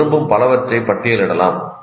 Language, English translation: Tamil, You can list as many as you want